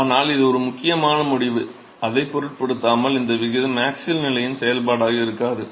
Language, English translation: Tamil, But irrespective of that, that is an important result, irrespective of that this ratio is not going to be a function of the axial position